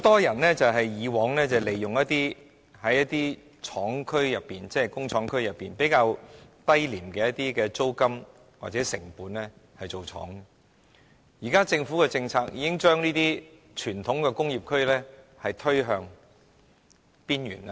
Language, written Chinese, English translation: Cantonese, 以往很多人能在工廠區以較低廉的租金或成本經營工廠，但現時政府的政策已將傳統工業區推向邊緣。, In the past many people could run factories in industrial areas with lower rents or costs but now the Governments policy has marginalized the traditional industrial areas